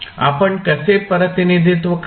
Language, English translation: Marathi, How will you represent